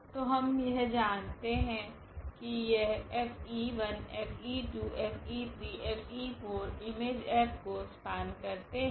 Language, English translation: Hindi, So, what we know now that this F e 1, F e 2, F e 3, F e 4 they will span the image F